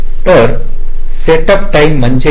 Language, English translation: Marathi, setup time is what